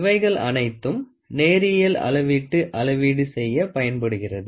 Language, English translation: Tamil, These are all used for measuring linear measurements